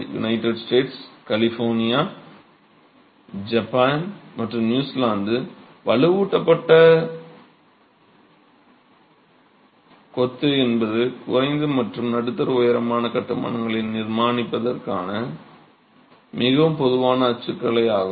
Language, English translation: Tamil, United States, California, the California district, Japan as you know, but reinforced masonry and New Zealand, reinforced masonry is a highly prevalent typology for construction of low to mid rise constructions